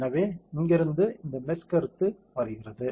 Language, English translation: Tamil, So, that is where this concept of meshing comes